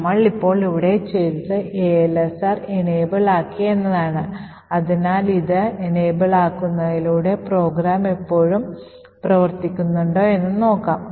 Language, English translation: Malayalam, So, what we have done here now is we have enabled ASLR, so with this enabling let us see if the program still works